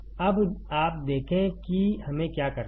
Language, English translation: Hindi, Now, you see what we have to do